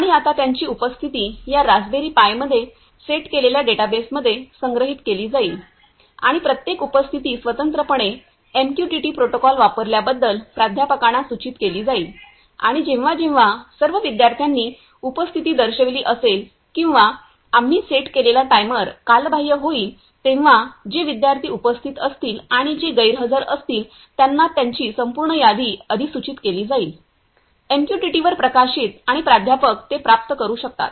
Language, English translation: Marathi, And now their attendance will be stored in database that is set up in this Raspberry Pi and each attendance will separately be notified to professor on using MQTT protocol and also whenever the all the students have marked attendance or the timer that we have set is expired the complete list of students those who are present and those who are absent will be notified, will be published to the; published over MQTT and professor can receive it